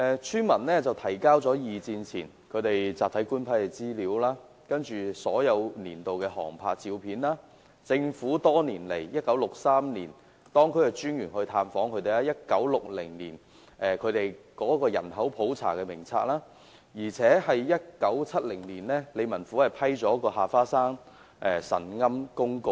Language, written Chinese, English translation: Cantonese, 村民提交了二戰前集體官批的資料、所有年度的航拍照片、政府於1963年派當區專員探訪該村的紀錄，以及1960年該村的人口普查名冊，而理民府更在1970年批出下花山神龕公告。, Its villagers furnished to the relevant departments information on Block Government Leases before the Second World War aerial photographs of all years records documenting the visit paid to the village by the District Officer in 1963 together with the register of the 1960 population census for the village and the District Office even issued the Ha Fa Shan shrine notice in 1970